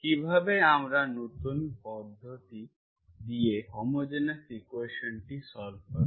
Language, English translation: Bengali, So we will solve this homogeneous equation now